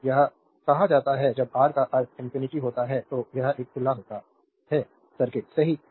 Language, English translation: Hindi, So, it is called when R tends to infinity means is says it is an open circuit, right